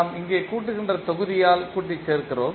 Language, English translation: Tamil, And we are summing up here that is summing block